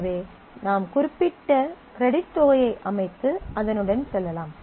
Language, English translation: Tamil, So, that you can set a particular credit amount and go with that